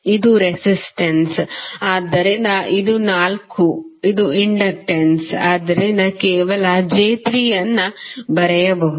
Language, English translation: Kannada, This is resistance, so this is 4, this is inductance so you can just simply write j3